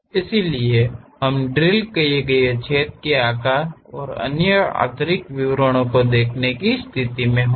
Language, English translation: Hindi, So, that we will be in a position to really see the drilled hole size and other interior details